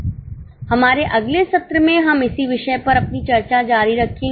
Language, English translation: Hindi, In our next session, we will continue our discussion on the same topic